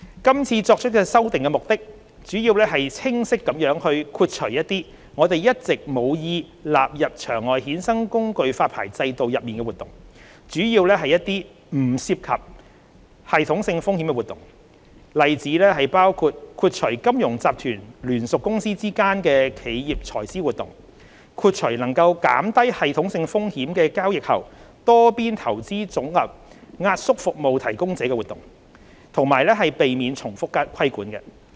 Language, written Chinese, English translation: Cantonese, 今次作出修訂的目的主要是清晰地豁除一些我們一直無意納入場外衍生工具發牌制度內的活動，主要是一些不涉及系統性風險的活動，例子包括：豁除金融集團聯屬公司之間的企業財資活動，豁除能減低系統性風險的交易後多邊投資組合壓縮服務提供者的活動，以及避免重複規管。, The main purposes of making current amendments are to carve out clearly activities that are not intended to be covered by the OTC derivative licensing regime mainly activities not involving any systemic risk such as corporate treasury activities of the affiliates of financial groups and activities of providers of post - trade multilateral portfolio compression services that can minimize systemic risks; and to avoid duplicate regulation